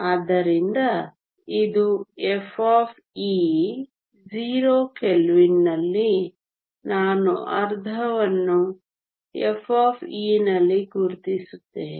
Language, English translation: Kannada, So, this is f of e at 0 kelvin I will just mark half at e f